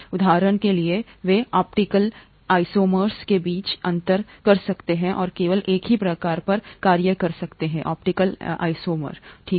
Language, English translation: Hindi, For example, they can differentiate between optical isomers and act on only one kind of optical isomer, okay